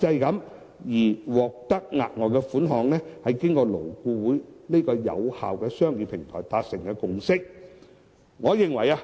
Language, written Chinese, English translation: Cantonese, 額外款項這項安排，是勞資雙方經過勞顧會有效的商議平台達成的共識。, The further sum arrangement is a consensus reached between employers and employees through the effective negotiation platform of LAB